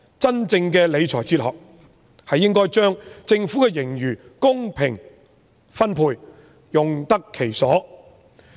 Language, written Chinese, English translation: Cantonese, 真正的理財哲學，是應該把政府的盈餘公平分配，用得其所。, A really sound fiscal philosophy should include fair distribution and appropriate use of the reserves of the Government